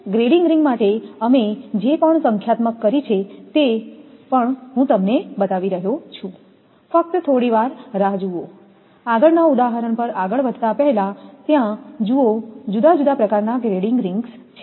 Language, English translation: Gujarati, And that your grading ring right whatever numerical we have done for grading ring also I am showing, just hold, on before proceeding to the next example just hold on that different type of grading rings are there